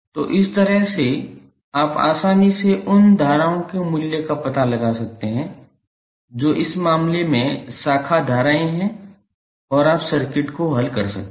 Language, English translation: Hindi, So, in this way you can easily find out the value of currents of those are the branch currents in this case and you can solve the circuit